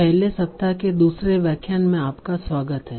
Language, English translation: Hindi, So, welcome back to the second lecture of the first week